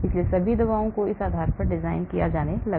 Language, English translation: Hindi, so all the drugs started being designed based on this